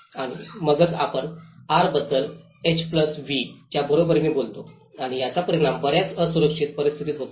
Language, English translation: Marathi, And then that is where we talk about the R is equal to H+V and that often results into the unsafe conditions